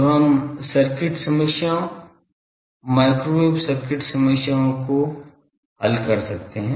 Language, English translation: Hindi, So, that we can do the circuit problems microwave circuit problems